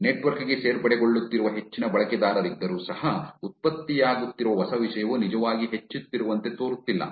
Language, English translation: Kannada, Even though there are more users that are getting added to the network, it does not look like the new content that is getting generated is actually increasing